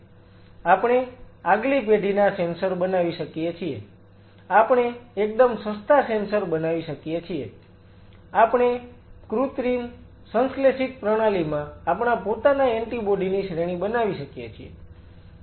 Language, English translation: Gujarati, We can create next generation sensors, we can create the cheapest sensors we can have we can produce our own set of anti bodies in an artificial synthetic system